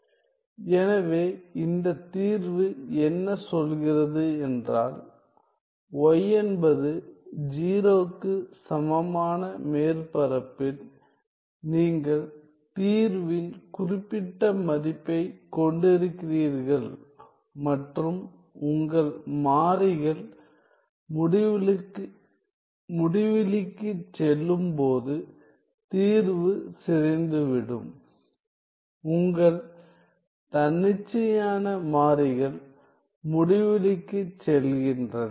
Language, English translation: Tamil, So, what this solution says is that on the surface on y equal to 0 you have certain value of the solution and the solution decays as your variables go to infinity, your independent variables go to infinity